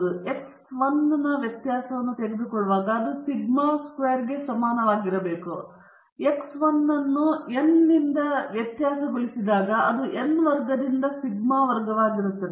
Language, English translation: Kannada, When you take the variance x 1 it is equal to sigma squared, but when you have variance of x 1 by n, then it becomes sigma squared by n squared